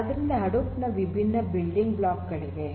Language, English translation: Kannada, So, there are different building blocks of Hadoop